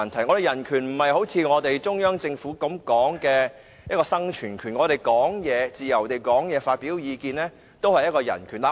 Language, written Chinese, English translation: Cantonese, 我說的人權並不是中央政府所說的生存權，我們可以自由發表意見，也是一種人權。, What I mean by human right is different from the term right to survival used by the Central Government . Our right to express our views freely is also a human right